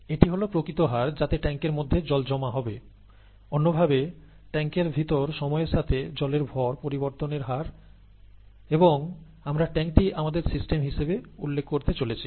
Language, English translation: Bengali, Or in other words, the rate of change of water mass with time inside the tank, and we are going to call the tank as our system